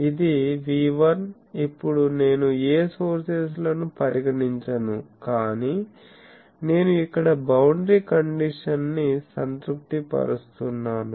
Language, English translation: Telugu, So, these V1 which was earlier containing sources, now I do not consider any sources, but I satisfies the boundary condition here